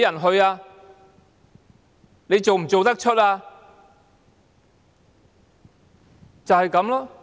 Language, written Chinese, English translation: Cantonese, 他們做得出嗎？, Are they brazen enough to do so?